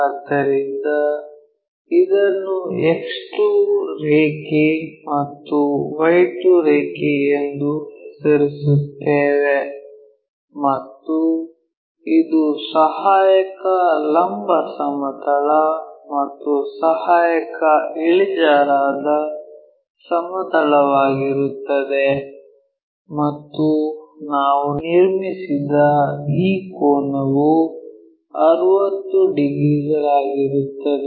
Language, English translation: Kannada, So, for the second one name it as X 2 line and this one Y 2 line and this is our auxiliary vertical plane and this is our auxiliary inclined plane and this angle what we have constructed 60 degrees